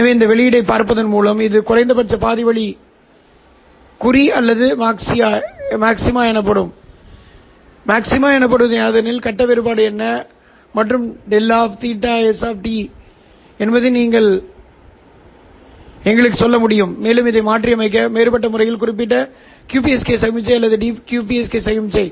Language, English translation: Tamil, So by looking at the output whether it is minima half way mark or the maxima, you will be able to tell us what is the face difference delta phi s of t and you can use this to demodulate differentially encoded QPSK signal or the DQPSK signal